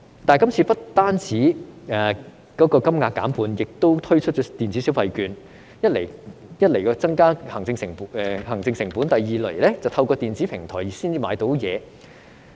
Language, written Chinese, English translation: Cantonese, 但是，這次金額不但減半，亦改以電子消費券的形式發放，一來會增加行政成本，二來要透過電子平台才能購買東西。, However the payment offered this time has not only been halved but will be issued in the form of electronic consumption vouchers . This will not only increase administrative costs but also require that consumption be made via electronic platforms